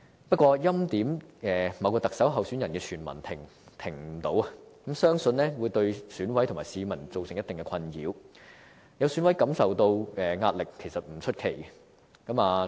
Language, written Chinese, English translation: Cantonese, 不過，欽點某位特首候選人的傳聞停不了，相信會對選委和市民造成一定的困擾，有選委感受到壓力也不出奇。, However the hearsay that a certain candidate is preordained has not stopped and I believe some EC members and the public will to a certain extent be perplexed and it is not surprising that some EC members have felt the pressure